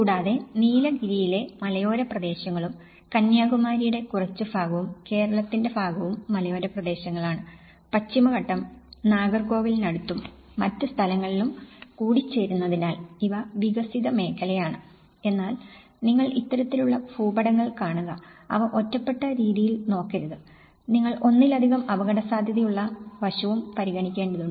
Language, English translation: Malayalam, Also, the hilly areas about the Nilgiris and a little bit of the Kanyakumari and the part of Kerala, where the Western Ghats are also meeting at some point near Nagercoil and other places so, these are developed so but one has to look at when you see these kind of maps, they should not look that in an isolated manner, you have to also consider the multi hazard prone aspect